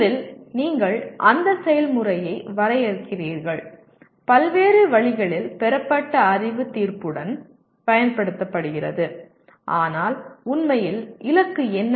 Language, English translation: Tamil, The first you define the process that is knowledge gained through various means is applied with judgment but what is the goal actually